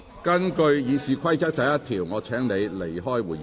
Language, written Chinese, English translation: Cantonese, 根據《議事規則》第1條，我請你離開會議廳。, Under Rule 1 of the Rules of Procedure I ask you to leave the Chamber